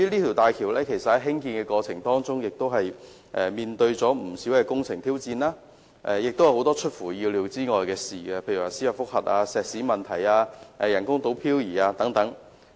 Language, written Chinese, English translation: Cantonese, 在興建大橋的過程中，出現了不少工程挑戰，亦有很多出乎意料的事情發生，例如司法覆核、石屎問題、人工島飄移等。, In the process of building HZMB there have been many construction challenges and unexpected happenings such as a judicial review the problem with concrete and the drifting of the artificial island